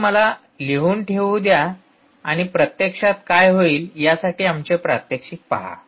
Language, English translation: Marathi, so let me put down that and actually see our experiments